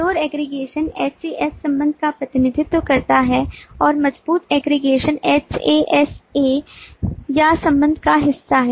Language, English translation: Hindi, weak aggregation represents has relationship and strong aggregation represents hasa